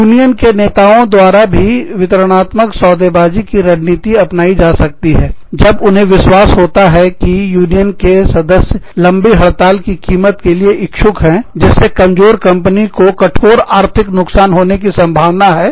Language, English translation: Hindi, Union leaders may also adopt, distributive bargaining tactics, when they believe, union members are willing to accept, the cost of a long strike, that is likely to cause, a vulnerable company severe economic damage